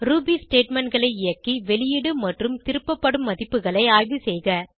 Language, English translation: Tamil, You can run Ruby statements and examine the output and return values